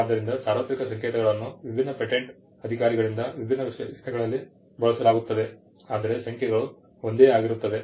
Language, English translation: Kannada, So, the universal codes are used in different specifications by different patent officers but the code the numbers tend to remain the same